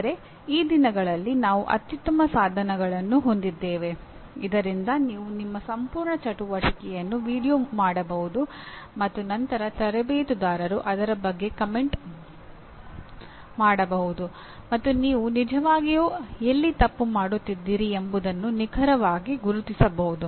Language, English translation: Kannada, But these days we have excellent tools where you can video the entire your play and then a coach can comment on that and can exactly pinpoint where you are actually doing